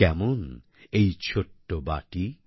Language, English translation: Bengali, What is this little bowl